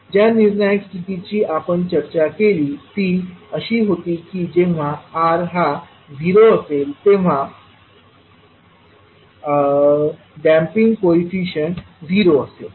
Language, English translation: Marathi, The critical condition which we discussed was that when R is equal to 0 the damping coefficient would be 0